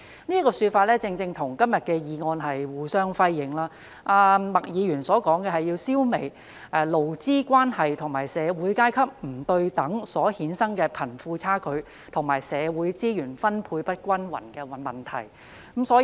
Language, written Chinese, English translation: Cantonese, 這說法正正與今天的議案內容互相輝映。麥議員提出的，是要"消弭勞資關係和社會階級不對等所衍生的貧富差距和社會資源分配不均等問題"。, This has precisely been echoed by todays motion in which Ms MAK proposes the need to eradicate such problems as the disparity between the rich and the poor and uneven distribution of social resources arising from inequalities in labour relations and social classes